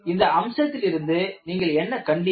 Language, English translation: Tamil, And by looking at this feature, what do you find